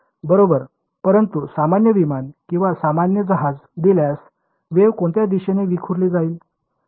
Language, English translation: Marathi, Right, but given a general aircraft or a general ship, what direction will the wave gets scattered into